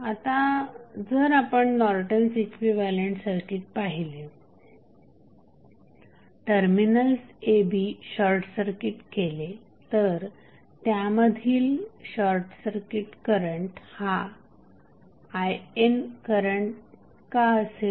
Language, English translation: Marathi, Now, if you see the Norton's equivalent circuit now if you short circuit a and b the current flowing through the short circuit terminal that is between a, b would be nothing but I N why